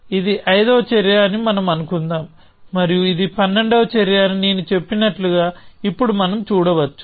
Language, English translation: Telugu, So, let us say this is the fifth action, and this is the twelfth action